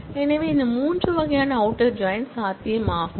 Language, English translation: Tamil, So, these three kinds of outer join are possible